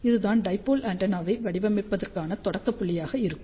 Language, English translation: Tamil, So, let me just give you simple example how to design a dipole antenna